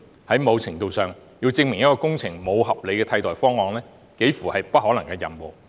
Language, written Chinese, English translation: Cantonese, 在某程度來說，要證明一項工程沒有合理的替代方案，幾乎是不可能的任務。, To a certain extent it is almost an impossible task to prove that there is no reasonable alternative to a project